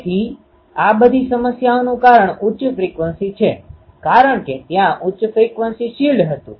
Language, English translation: Gujarati, So, this is the source of all problems in high frequency because high frequency there was shield